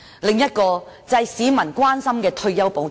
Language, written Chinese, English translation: Cantonese, 另一個市民關心的問題是退休保障。, Another matter of public concern is retirement protection